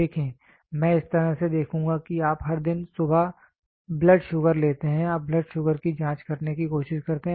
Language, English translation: Hindi, See I would put this way see you take blood sugar every day morning you try to check blood sugar